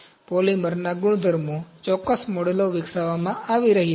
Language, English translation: Gujarati, The properties of polymers, the certain models are being developed